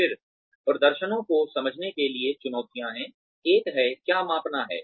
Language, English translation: Hindi, Then, the challenges, to appraising performance are, one is, what to measure